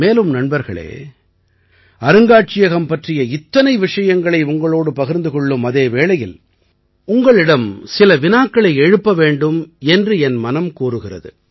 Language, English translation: Tamil, By the way, friends, when so much is being discussed with you about the museum, I felt that I should also ask you some questions